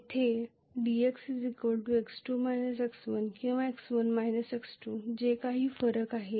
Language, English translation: Marathi, Where dx is x2 minus x1 or x1 minus x2, whatever is the difference